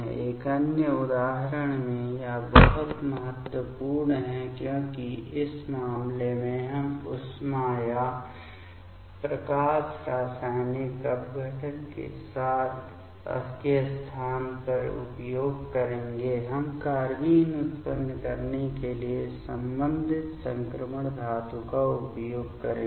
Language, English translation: Hindi, In another example, it is a very important one because in this case we will use in place of heat or photochemical decomposition; we will use the corresponding transition metal to generate the carbenes